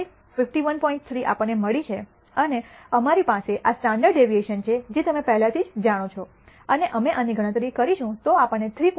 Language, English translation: Gujarati, 3 and we have this standard deviation which you already know and we compute this we get a value of 3